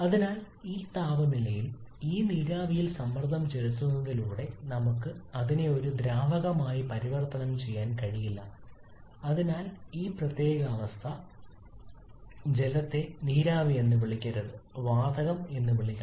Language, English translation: Malayalam, Is at a temperature much higher than the critical temperature and therefore at this temperature by simply pressurizing this vapour we cannot convert it to a liquid and so for this particular condition water should not be called a vapour, water should be called gas